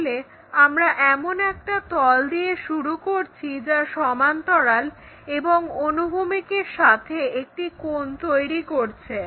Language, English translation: Bengali, So, initially we begin with a plane which is parallel, then make an angle with vertical planeah with the horizontal plane